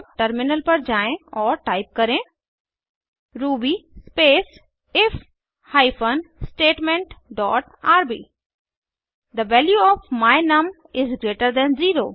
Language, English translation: Hindi, Now, let us switch to the terminal and type ruby space if hyphen statement dot rb The output will display The value of my num is greater than 0